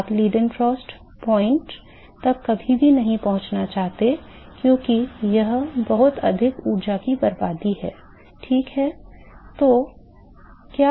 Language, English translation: Hindi, Never want to reach the Leidenfrost point because it is too much waste of energy, ok